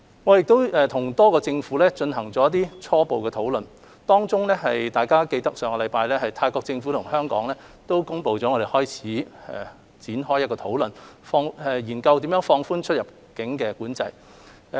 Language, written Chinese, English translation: Cantonese, 我們已和多個政府進行初步討論，當中，大家記得在上星期，泰國政府與香港開始展開討論，研究如何放寬出入境管制。, We have already had some initial discussion with various governments among them the government of Thailand is going to commence discussion with Hong Kong on the ways of relaxing border control